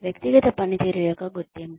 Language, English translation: Telugu, Recognition of individual performance